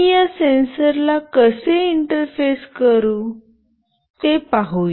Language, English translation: Marathi, Let us see how I can interface this sensor